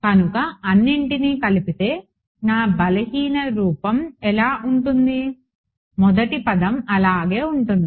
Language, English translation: Telugu, So, putting it all together what does my weak form look like, first term will remain as is right